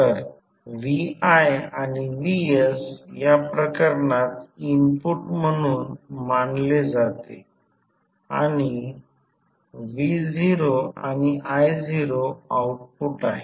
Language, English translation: Marathi, So, vi and vs are considered as an input in this case and v naught i naught are the outputs